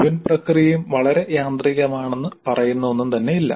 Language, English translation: Malayalam, There is nothing which says that the entire process is too mechanical